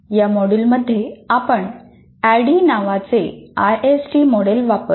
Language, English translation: Marathi, In this module, we use ISD model called ADDI